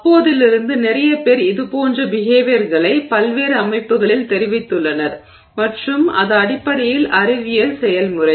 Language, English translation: Tamil, And since then lot of people have reported similar such behavior in a variety of systems and that's basically the scientific process